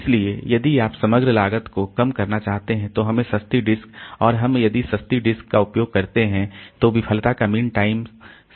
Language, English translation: Hindi, So, if you want to reduce the overall cost then we have to use inexpensive disk and inexpensive disk if we use then this mean time to failure will be low